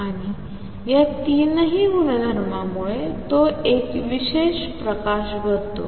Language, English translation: Marathi, And all these three properties make it a very special light